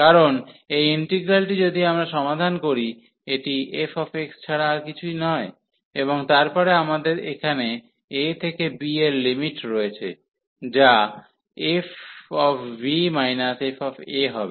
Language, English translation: Bengali, Because, this integral if we solve, so this is nothing but the f x, and then we have limit here a to b, so which will be f b and minus the f a